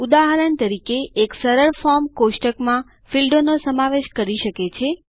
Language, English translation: Gujarati, For example, a simple form can consist of fields in a table